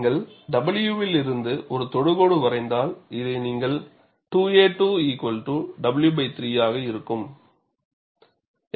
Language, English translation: Tamil, And if you draw a tangent from w, you have this as the corresponding point as 2 a 2 equal to w by 3